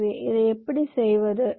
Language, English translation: Tamil, so how you do this